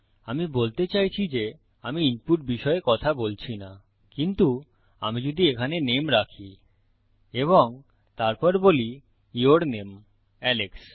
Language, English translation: Bengali, I mean Im not talking about input but if I put the name here and then I say your name, Alex This is how it works